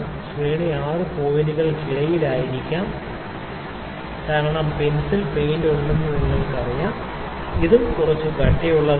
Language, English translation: Malayalam, So, the range might be between six points because you know there is paint also the painted the paint is also there in the pencil, this is also having some thickness